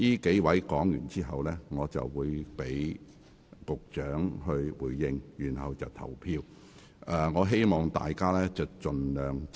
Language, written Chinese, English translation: Cantonese, 在上述議員發言後，我會讓局長發言回應，然後進行表決。, After these Members have finished speaking I will call upon the Secretary to reply . Then the Committee will proceed to vote